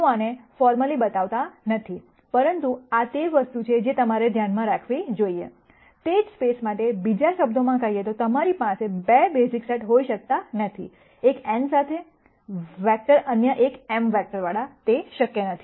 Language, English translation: Gujarati, I am not going to formally show this, but this is something that you should keep in mind, in other words for the same space you cannot have 2 basis sets one with n, vectors other one with m vectors that is not possible